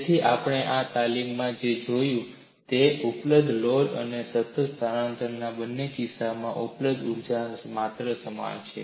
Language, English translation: Gujarati, So, what we have seen in this exercise is, the quantum of energy available is same in both the cases of constant load and constant displacement